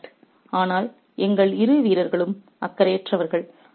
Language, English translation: Tamil, But the two players were unconcerned